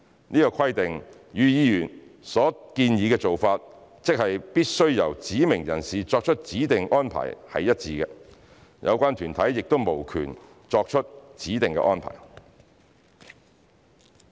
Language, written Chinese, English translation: Cantonese, 此規定與議員所建議的做法，即必須由指明人士作出指定安排是一致的，有關團體亦無權作出指定的安排。, This requirement is consistent with the approach suggested by Members ie . designated arrangements must be made by designated persons and relevant bodies do not have the right to make designated arrangements